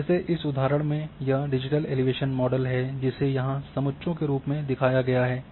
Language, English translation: Hindi, Like in this example this is the digital elevation model shown here in form of contours